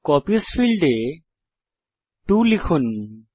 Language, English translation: Bengali, In the Copies field, enter 2